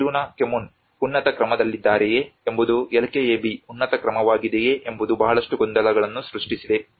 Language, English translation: Kannada, Whether the Kiruna Kommun is on a higher order whether the LKAB is a higher order that has created a lot of confusion